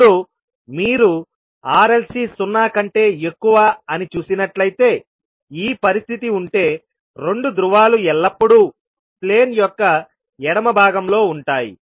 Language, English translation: Telugu, Now if you see that the R, L, C is greater than 0, when, if this is the condition the 2 poles will always write in the left half of the plane